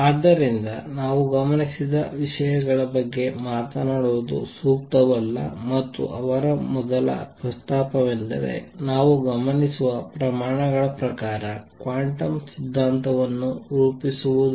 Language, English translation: Kannada, So, it is not proper to talk about things that we do not observe, and his first proposal one was formulate quantum theory in terms of quantities that we observe